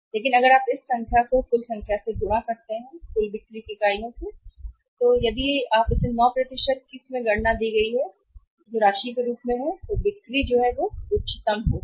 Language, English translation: Hindi, But if you multiply this percentage with the total number of units of the total sales we are making, if you calculate this 9 % as the given amount of the sales that would be highest